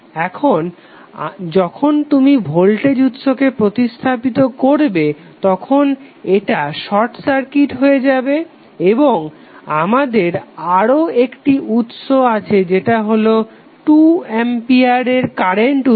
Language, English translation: Bengali, Now when you replace the voltage source it will become short circuited and we have another source which is current source that is 2A current source